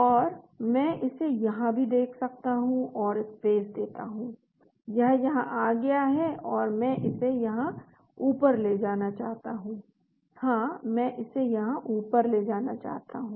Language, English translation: Hindi, And I can also look here it and space it comes down here, so I want to push it up, I want to move it up here, yeah I want to move it up here